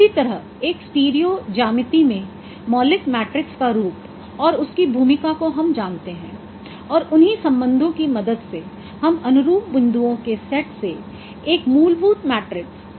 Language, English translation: Hindi, Similarly, the form of fundamental matrix in stereo geometry and its role that has that we know and applying those relationships we can derive a fundamental matrix from the set of corresponding points